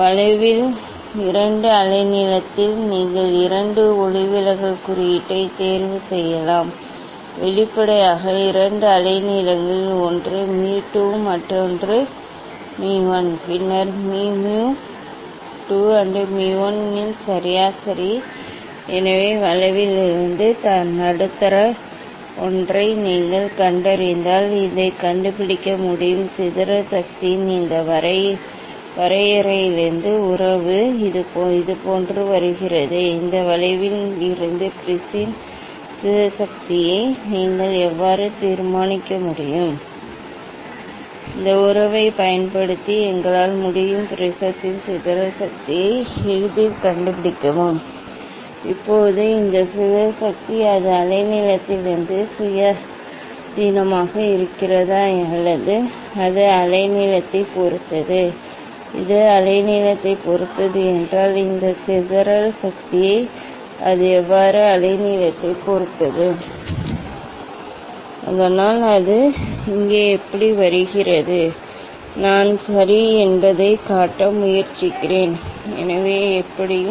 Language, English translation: Tamil, at two wavelength at on the curve, you can choose two refractive index ok; obviously at two wavelength one is mu 2, another is mu 1 and then mu is average of mu 2 and mu 1; so middle one from the curve if you find out so from this one can find out, from this definition of the dispersive power the relation comes like this, how you can determine the dispersive power of the prism from this curve, using this relation we can easily find out the dispersive power of the prism, now this dispersive power whether, its independent of wavelength or it depends on wavelength; if it depends on the wavelength, how it depends on the wavelength this dispersive power so how it comes here, just I try to show ok, so anyway